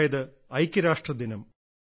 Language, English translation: Malayalam, 'United Nations Day' is celebrated